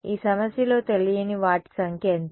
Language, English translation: Telugu, What are the number of unknowns in this problem